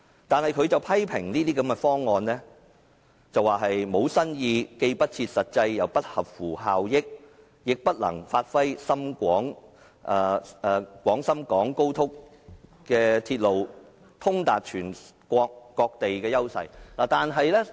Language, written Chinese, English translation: Cantonese, 但是，他批評這些方案沒有新意，既不切實際又不合乎效益，亦不能發揮高鐵通達全國各地的優勢。, However he criticized these proposals as old tunes which were not practicable inefficient and unable to give full play to the strengths of XRLs nation - wide connectivity